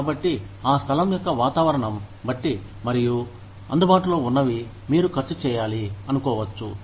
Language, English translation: Telugu, So, depending on the climate of that place, and what is available, you might want to spend